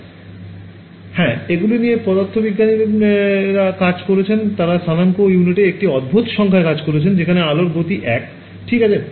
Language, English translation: Bengali, Yeah so, they work these are physicist they work in a strange set of coordinate units where speed of light is 1 ok